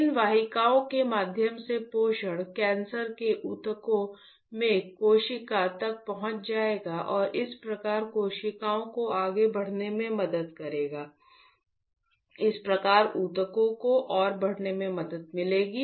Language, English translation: Hindi, The nutritions through these vessels will reach to the cell in the cancerous tissue and thus helping the cells to grow further, thus helping the tissues to grow further